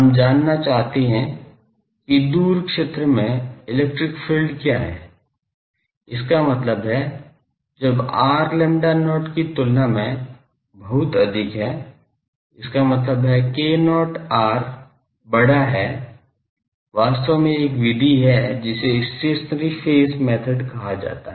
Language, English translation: Hindi, We want to know what is the electric field in the far zone and in the far zone; that means, when r is much much greater than lambda not; that means, k not r is large, there actually, there is a method, which is called stationary phase method